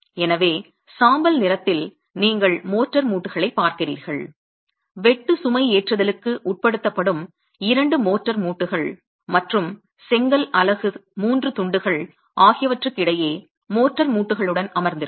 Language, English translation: Tamil, So, in grey you see the motor joints, the two motor joints which are going to be subjected to the shear loading and the three pieces of brick units that's sitting with the motor joints between them